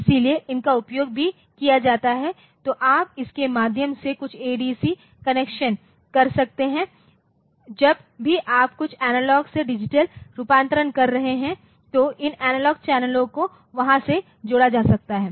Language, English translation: Hindi, So, these are also used for so, you can connect some ABC through this and there whenever you are if you are doing some ABC analog to digital conversion then this analog channels can be connected there